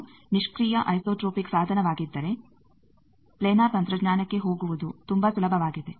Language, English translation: Kannada, It is passive isotropic device if it is then it is very easy to go for planar technology